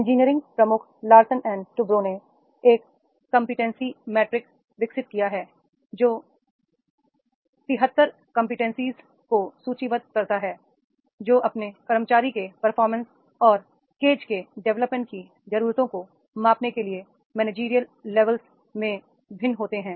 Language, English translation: Hindi, Engineering Major Larson and Tuberow has developed a competency matrix which a list to 73 competencies that vary across managerial levels to measure performance and gauge development needs of its employees